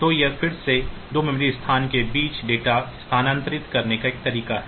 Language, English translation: Hindi, So, this is again you see that one way of transferring data between 2 memory locations